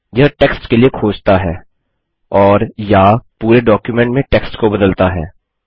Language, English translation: Hindi, It searches for text and/or replaces text in the entire document